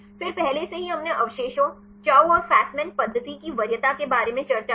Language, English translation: Hindi, Then already we discussed about the preference of residues, Chou and Fasman method